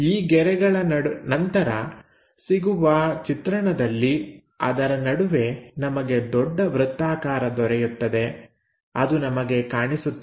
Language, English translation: Kannada, So, the view followed by these lines, in between that we get a bigger circle which will be visible